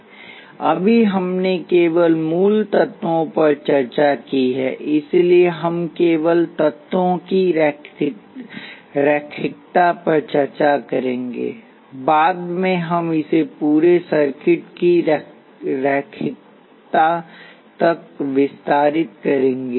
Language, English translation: Hindi, Right now, we only discussed basic elements, so we will only discuss linearity of elements, later we will expand it to linearity of entire circuits